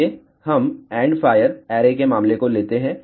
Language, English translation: Hindi, Let us take the case of end fire array